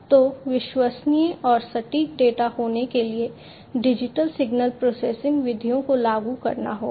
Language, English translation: Hindi, Because unless you make it digital, digital signal processing methods cannot be applied